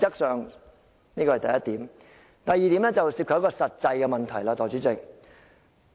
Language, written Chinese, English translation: Cantonese, 代理主席，第二點則涉及實際的問題。, Deputy President the second point is a matter of practicality